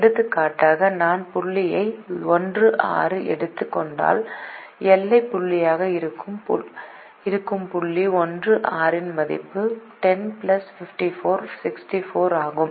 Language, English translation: Tamil, for example, if i take the point one comma six, the point one comma six, which is a boundary point, has a value ten plus fifty four, equal to sixty four